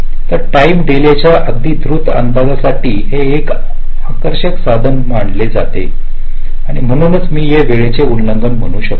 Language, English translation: Marathi, so this becomes an attractive tool for very quick estimate of the timing delays and hence some, i can say, timing violations